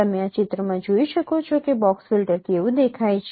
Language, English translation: Gujarati, You can see in this picture how the box filters they look like